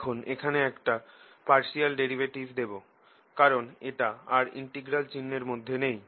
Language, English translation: Bengali, now i am going to put a partial derivative here, because now is this thing is not under the integral sign anymore